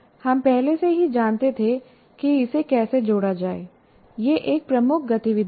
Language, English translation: Hindi, So what we already knew, how to link it is the major activity